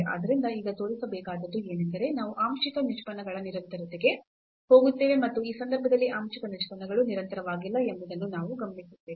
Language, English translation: Kannada, So, what is now to show, that we will go to the continuity of the partial derivatives and we will observe that the partial derivatives are not continuous in this case